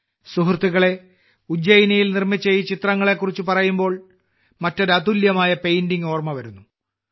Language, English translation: Malayalam, Friends, while referring to these paintings being made in Ujjain, I am reminded of another unique painting